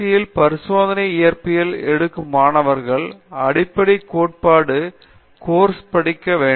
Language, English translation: Tamil, So, the person going to do a PhD in experimental physics will also be taking the fundamental theory course